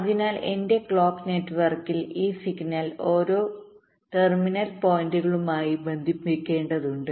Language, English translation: Malayalam, so in my clock network i have to connect this signal to each of these terminal points